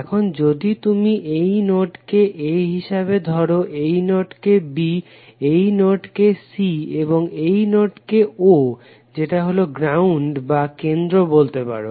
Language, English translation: Bengali, Now if you give this node as a this node as b this node as c and this is o that is the ground or may be origin you can say